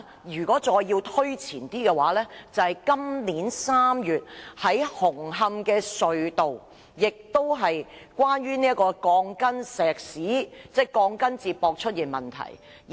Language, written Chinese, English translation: Cantonese, 如果再要推前一點，就是今年3月紅磡隧道出現的鋼筋接駁問題。, Earlier in March this year a problem concerning the connection of steel bars was found at the Hung Hom Tunnel